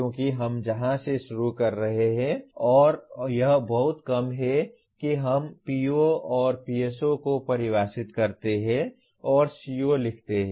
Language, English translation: Hindi, Because we are starting from where we are and it is very rare that we define POs and PSOs and write COs